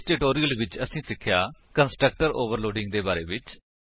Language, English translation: Punjabi, In this tutorial, we will learn what is constructor overloading and to overload constructor